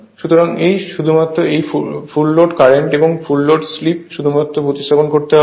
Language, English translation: Bengali, Full load your full load current and full load slip just replace by those things right